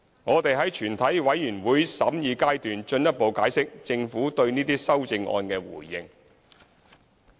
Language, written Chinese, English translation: Cantonese, 我們會在全體委員會審議階段進一步解釋政府對這些修正案的回應。, We will further explain the Governments response to these CSAs in the Committee stage